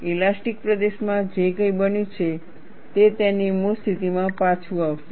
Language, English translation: Gujarati, Whatever that has happened to the elastic region, it will spring back to its original position